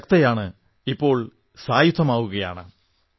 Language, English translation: Malayalam, Women are already empowered and now getting armed too